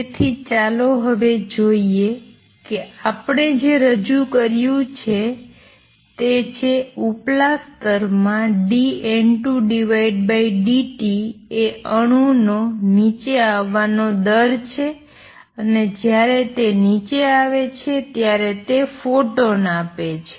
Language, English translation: Gujarati, So, let us see now what we have introduced is that dN 2 by dt an atom in upper state has this rate of coming down and when it comes down it gives out photons